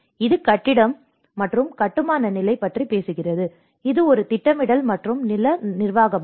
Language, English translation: Tamil, It talks about the building and construction level; this is more of a planning and land management